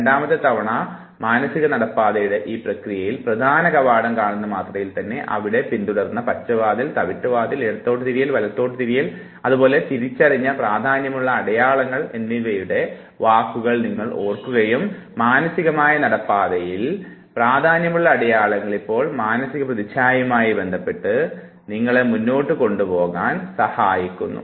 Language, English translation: Malayalam, And in this process of mental walk through the second time, the moment you see the main gate, you remember what was the word; green gate, brown gate, the left turn, the right turn whatever significant land marks that you have identified, all those significant land marks on a mental walk through is now associated with the visual image of the walk and that would help you a lot